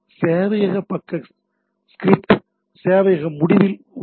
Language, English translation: Tamil, So, that is at the server end, so server side script